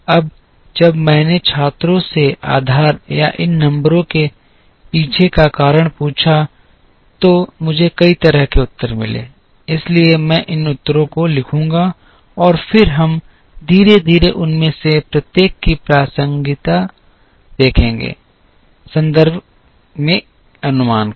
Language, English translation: Hindi, Now, when I asked the students the basis or the reason behind which these numbers were given, I got a variety of answers, so I will write down these answers and then we will slowly see the relevance of each one of them, in the context of forecast